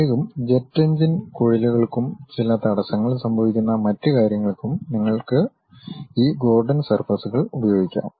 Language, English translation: Malayalam, Especially, for jet engine ducts and other things where certain abruption happens, you use this Gordon surfaces